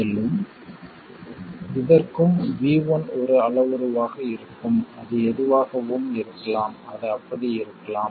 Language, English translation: Tamil, And similarly for this one we will have V1 as a parameter and it could be anything, it could be something like that